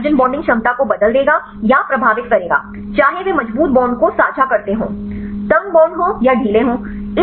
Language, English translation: Hindi, This will change or influence the hydrogen bonding ability, whether they share the strong bonds are the tight bonds or it is loose